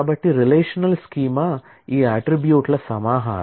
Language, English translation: Telugu, So, then a relational schema is a collection of these attributes